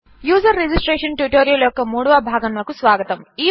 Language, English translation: Telugu, Welcome to the 3rd part of the User Registration tutorial